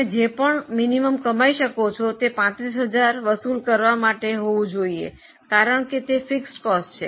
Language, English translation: Gujarati, Minimum you have to earn enough to cover your 35,000 because that is a fixed cost